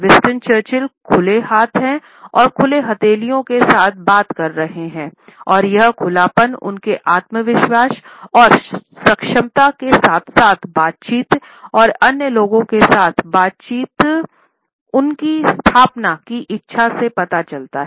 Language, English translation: Hindi, Winston Churchill is speaking with open hands and open palms and this openness suggests his confidence and his capability as well as his desire to establish interaction and dialogue with the other people